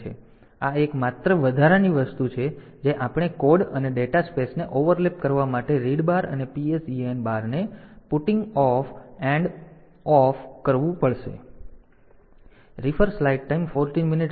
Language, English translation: Gujarati, So, this is the only additional thing that we have to do this putting off and of read bar and PSEN bar for doing the overlapping of code and data spaces